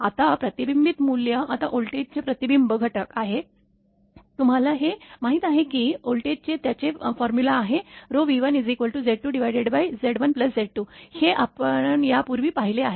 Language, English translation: Marathi, Now, reflected values now reflection factor for voltage, we know the formula for voltage it will be Z 2 minus Z 1 upon Z 1 plus Z 2, this we have seen earlier